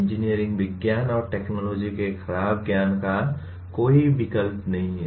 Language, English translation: Hindi, There is no substitute for poor knowledge of engineering sciences and technologies